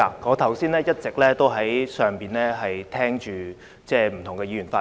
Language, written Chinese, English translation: Cantonese, 我剛才一直在上面聆聽不同議員的發言。, I have been listening to Members speeches at my office